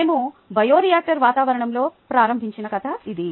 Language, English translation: Telugu, that was a story that we started out in a bioreactor environment